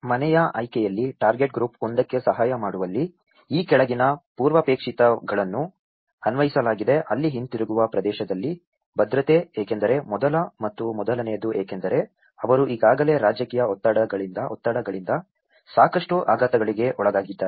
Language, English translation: Kannada, In the household selection, in assisting target group one, the following prerequisites has been applied where the security in the area of return, because the first and prior most is because already they have been undergoing a lot of shocks because of the political stresses